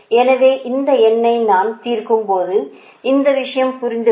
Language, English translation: Tamil, so in that case, when i will solve this one, a numerical, then this thing will be cleared